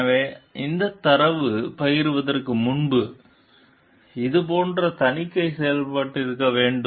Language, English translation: Tamil, So, before sharing this data, this like audit should have been done